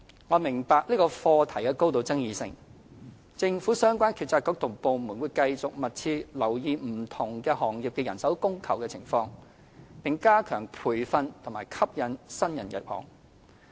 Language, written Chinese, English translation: Cantonese, 我明白這個課題極具爭議，政府相關政策局及部門會繼續密切留意不同行業的人手供求情況，並加強培訓及吸引新人入行。, I understand that this is an issue of great contention . The relevant Policy Bureaux and departments of the Government will continue to closely monitor the manpower demand and supply for different sectors strengthen training initiatives and attract new entrants to the sectors